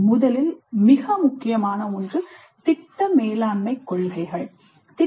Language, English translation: Tamil, The first very important one is that project management principles